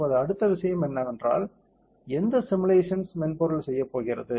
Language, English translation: Tamil, Now, the next thing is what thus this or any other simulation software do